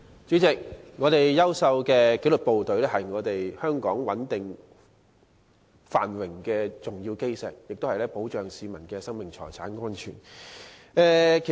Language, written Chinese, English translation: Cantonese, 主席，香港有優秀的紀律部隊，是穩定繁榮的重要基石，他們保護市民的生命財產安全。, President the excellent disciplined service in Hong Kong is an important cornerstone of stability and prosperity and they ensure the safety of the lives and property of the public